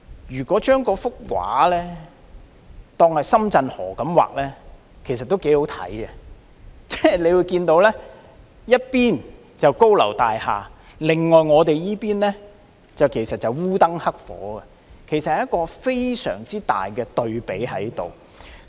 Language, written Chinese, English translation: Cantonese, 如果將畫中的河換成深圳河，畫面也會相當有看頭：一邊是高樓大廈，另一邊——我們這邊——則烏燈黑火，有一個很大的對比。, Now if the river in the painting is replaced with the Shenzhen River the painting will still be interesting to look at a stark contrast between the cityscape of skyscrapers on one side and pitch - blackness on the other―our side